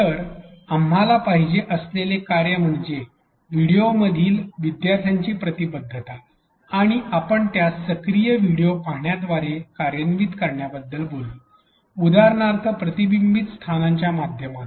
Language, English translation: Marathi, So, the function we wanted is learners engagement in videos and we talked about operationalizing that via active video watching for example, via reflection spots